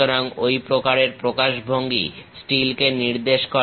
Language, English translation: Bengali, So, such kind of representation represent steel